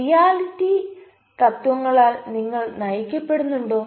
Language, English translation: Malayalam, are you guided by the reality principle